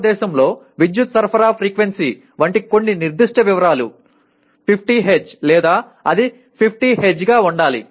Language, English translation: Telugu, Some specific details like power supply frequency in India is 50 Hz or it is supposed to be 50 Hz